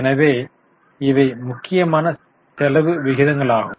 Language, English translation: Tamil, So, these were important expense ratios